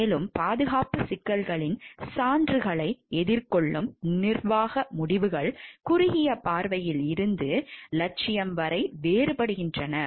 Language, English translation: Tamil, Furthermore, management decisions in the face of evidence of safety problems varied from short sighted to negligent